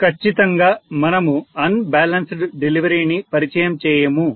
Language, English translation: Telugu, Clearly, we do not introduce unbalanced delivery